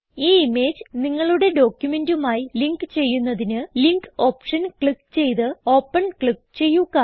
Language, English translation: Malayalam, To link the image to your document, check the Linkoption and click Open